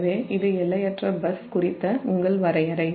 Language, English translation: Tamil, so this is your definition of infinite bus